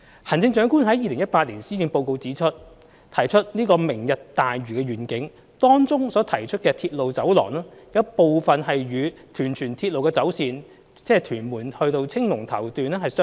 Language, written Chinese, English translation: Cantonese, 行政長官於2018年施政報告中提出"明日大嶼願景"，當中所提出的鐵路走廊有部分與屯荃鐵路的走線，即屯門至青龍頭段相若。, The Chief Executive mentioned the Lantau Tomorrow Vision in the 2018 Policy Address in which a part of the proposed railway corridor is similar to the alignment of Tuen Mun - Tsuen Wan Link